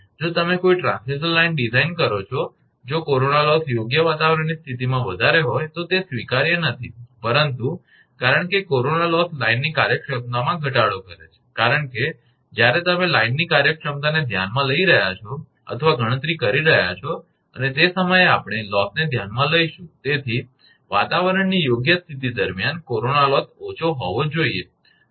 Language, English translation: Gujarati, If you design a transmission line if corona loss is higher in fair weather condition that is not acceptable, but because corona loss reduces the efficiency of the line because when you are considering or computing the efficiency of the line and that time we will consider losses, so during fair weather condition that the corona loss should be low